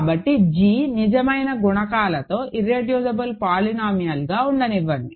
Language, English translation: Telugu, So, let g be an irreducible polynomial with real coefficients